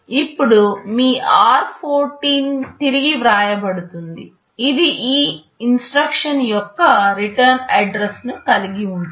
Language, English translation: Telugu, Now your r14 gets overwritten, it will contain the return address of this instruction